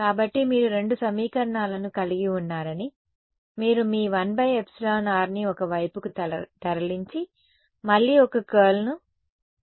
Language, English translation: Telugu, So, you take you have two equations, you move your 1 by epsilon r on one side and again take a curl